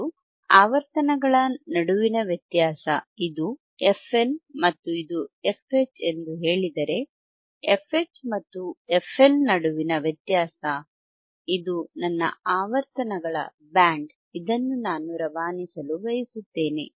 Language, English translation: Kannada, And the difference between frequencies, if I say this is f L and this is f H, then a difference between f H and f L, this is my band of frequencies that I want to pass, alright